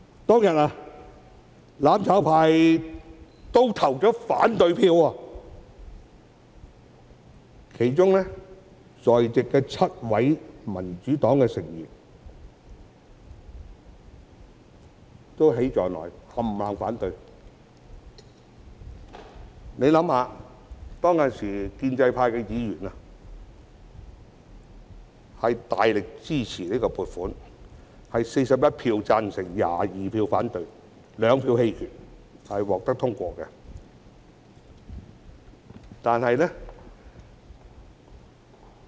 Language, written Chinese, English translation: Cantonese, 當天，"攬炒派"——包括在席的7位民主黨議員——對此投下反對票，而當時建制派議員卻大力支持這項撥款，結果有41票贊成 ，22 票反對 ，2 票棄權，議案獲得通過。, That day the mutual destruction camp―including the seven Members of the Democratic Party who are present here―voted against this funding proposal whereas Members of the pro - establishment camp gave their strong support to it . Finally with 41 Members voted in favour of it 22 Members voted against it and 2 Members abstained the motion was passed